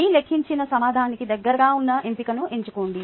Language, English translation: Telugu, choose the option closest to a calculated answered